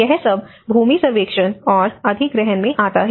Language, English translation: Hindi, So, all this comes in the land survey and acquisition